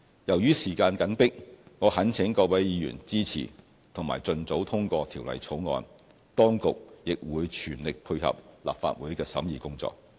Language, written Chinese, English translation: Cantonese, 由於時間緊迫，我懇請各位議員支持及盡早通過《條例草案》，當局亦會全力配合立法會的審議工作。, In view of the tight schedule I implore Honourable Members to support and pass the Bill expeditiously whereas the authorities will give full support to the Legislative Council in the scrutiny of the Bill